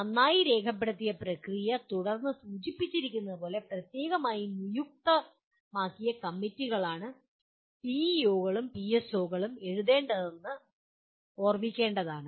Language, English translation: Malayalam, It should be remembered that PEOs and PSOs are to be written by the specially designated committees as indicated following a well documented process